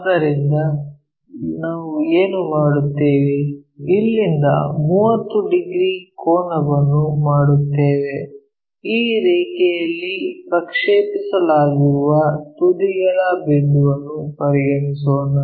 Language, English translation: Kannada, So, what we will do is, from here we will make a 30 degree angle let us consider the point extreme point which is projected onto this line